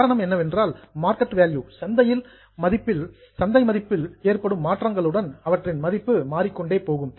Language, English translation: Tamil, The reason is because their value goes on changing with the changes in the market value in the market